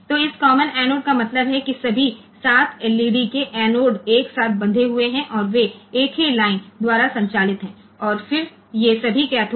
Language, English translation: Hindi, So, this common anode means all the anodes they are tied together all the 7 LEDs that anodes are tied together and, they are driven by a single line and, then all these cathode